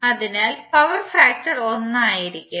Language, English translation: Malayalam, So the power factor would be 1